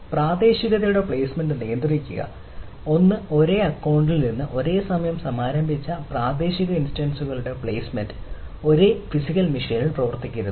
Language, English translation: Malayalam, one is the placement of locality instances launched simultaneously from the same account do not run on the same physical machine